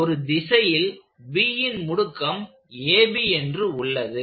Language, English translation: Tamil, So that is the acceleration of B